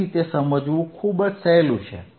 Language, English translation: Gujarati, So, it is very easy to understand